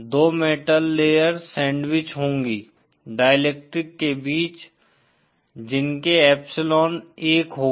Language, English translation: Hindi, Two metal layers sandwiched between some dielectric constant epsilon 1